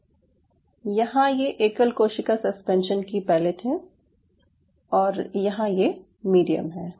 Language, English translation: Hindi, so here you have the pellet, pellet of single cell suspension, and here you have the medium